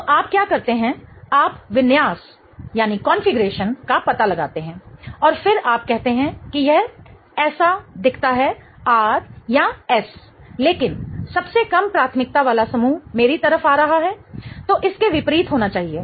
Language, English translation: Hindi, So, what you do is you figure out the configuration and then you say that this looks like, you know, R or S but the least priority group is coming towards me